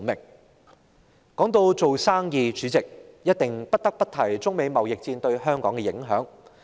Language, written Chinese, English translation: Cantonese, 主席，說到做生意，我們不得不提中美貿易戰對香港的影響。, President talking about business we must mention the impact of the United States - China trade war on Hong Kong